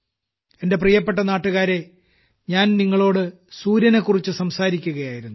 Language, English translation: Malayalam, My dear countrymen, just now I was talking to you about the sun